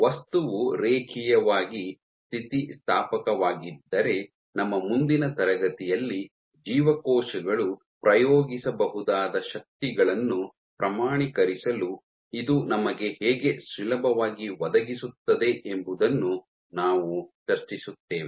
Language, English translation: Kannada, So, if the material is linearly elastic then in our next class, we will discuss how this is this provides us ease in order to quantify the forces that cells can exert